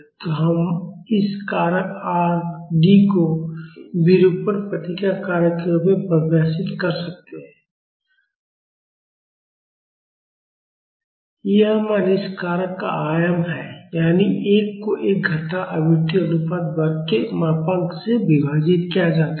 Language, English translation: Hindi, So, we can define this factor R d as, the deformation response factor and it is value is the amplitude of this factor; that is 1 divided by modulus of 1 minus frequency ratio square